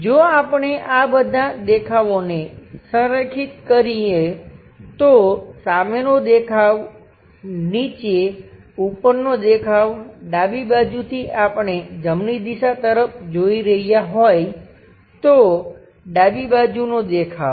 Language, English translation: Gujarati, If we are aligning these entire views, perhaps front view, top view at bottom, from left direction we are seeing towards right direction so left side view